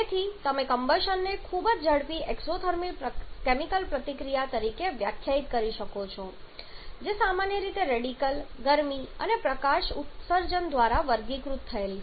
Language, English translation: Gujarati, So, you can define combustion as a very rapid exothermic chemical reaction commonly characterized by the emission of radicals heat and light